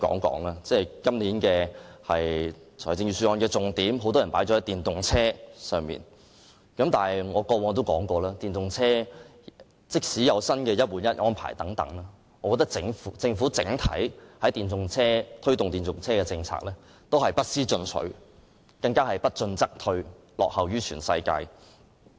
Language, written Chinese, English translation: Cantonese, 今年很多人把預算案的重點放在電動車上，而我過往亦曾提到，即使電動車有"一換一"的新安排，但我認為政府推動電動車的整體政策不思進取，甚至不進則退，落後於全世界。, This year many people have placed the focus of the Budget on electric vehicles . As I have mentioned before despite the new one - for - one replacement arrangement for electric vehicles I hold that the Governments overall policy on the promotion of electric vehicles is not only resting on its laurels but even regressing lagging behind the whole world